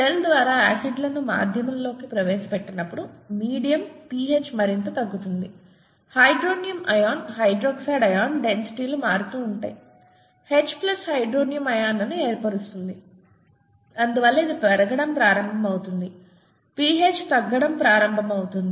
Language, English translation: Telugu, When acid is introduced into the medium by the cell, the medium pH goes down further, the hydronium ion, hydroxide ion concentrations vary; H plus which forms hydronium ions and therefore this starts going up, the pH starts going down